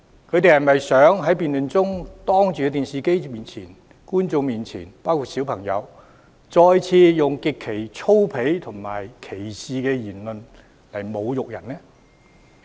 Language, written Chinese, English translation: Cantonese, 他們是否想在辯論中對着電視機前的觀眾包括小朋友再次以極為粗鄙和帶有歧視的言論侮辱人呢？, Do they wish to insult the other party again with grossly indecent and discriminatory remarks in front of television viewers including children during the debate?